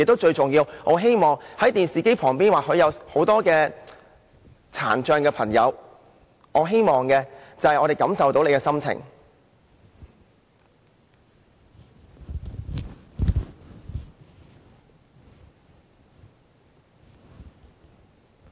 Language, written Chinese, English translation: Cantonese, 最重要的是，在電視機前或眾多殘障的朋友，我希望他們知道我們感受到他們的心情。, Most importantly I hope that people watching this debate on television and people with disabilities can know that their feelings are also ours